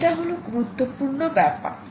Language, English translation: Bengali, this is a very important point